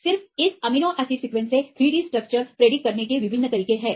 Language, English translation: Hindi, There are various methods to predict the 3 D structures just from this amino acid sequence